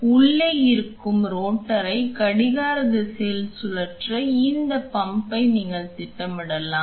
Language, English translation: Tamil, So, you can have this pump programmed to rotate in a clockwise direction the rotor which is inside